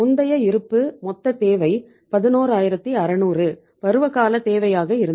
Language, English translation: Tamil, Earlier the balance the total requirement was 11600, seasonal requirement